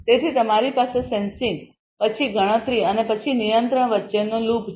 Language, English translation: Gujarati, So, you have a loop between sensing then computation and then control